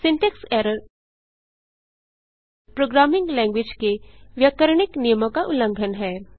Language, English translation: Hindi, Syntax error is a violation of grammatical rules, of a programming language